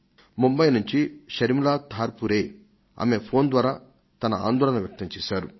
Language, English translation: Telugu, Sharmila Dharpure from Mumbai has expressed her concern to me through her phone call